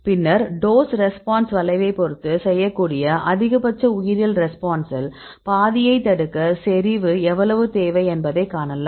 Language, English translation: Tamil, Then get the dose response curve and then you can see how much the concentration is required to inhibit of the half the maximum biology response right you can do it